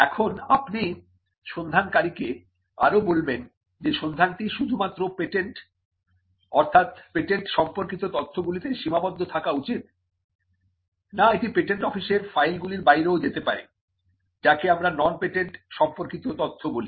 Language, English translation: Bengali, Now you would also say to the searcher whether the search should confine to only materials that are patents; that is, the patent literature, or whether it could also go beyond the files of the patent office, and which is what we call a non patent literature search